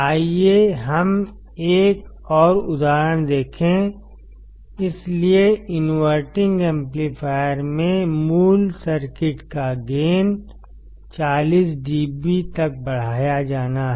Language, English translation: Hindi, Let us see one more example; so in the inverting amplifier, the gain of the original circuit is to be increased by 40 dB